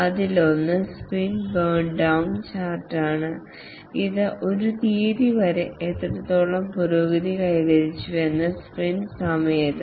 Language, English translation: Malayalam, One is the sprint burn down chart which is during a sprint, how much progress has been achieved till a date